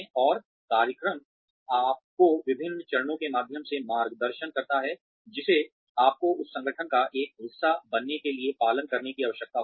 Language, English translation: Hindi, And, the program guides you through the different steps, that you will need to follow, in order to become, a part of that organization